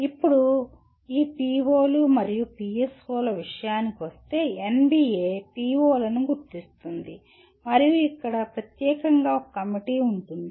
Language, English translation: Telugu, Now, coming to this POs and PSOs; NBA identifies the POs and here there is a committee specifically created